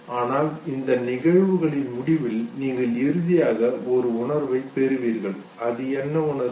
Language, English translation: Tamil, But then at the end of these events you finally derive a feeling out of it, what is that feeling, okay